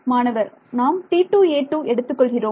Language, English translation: Tamil, We are taking T 2 a 2